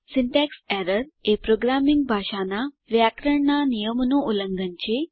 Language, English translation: Gujarati, Syntax error is a violation of grammatical rules, of a programming language